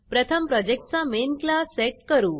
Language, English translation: Marathi, First, we need to set the projects Main class